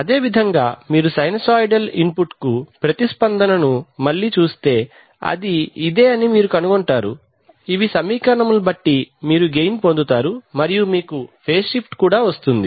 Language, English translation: Telugu, Similarly if you see its response to a sinusoidal input again you will find that this is, these are the expressions so you get a gain and you get a phase shift